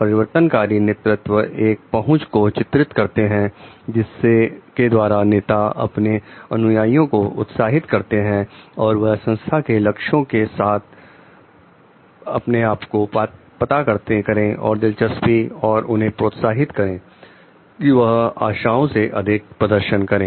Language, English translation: Hindi, The transformational leadership depicts an approach by which leaders motivate followers to identify with the organizations goals and interest and encourage them to perform beyond the expectations